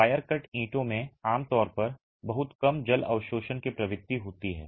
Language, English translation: Hindi, The wire cut bricks typically have this tendency of very low water absorption